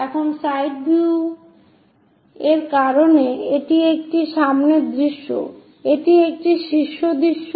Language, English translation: Bengali, because this is front view, this is top view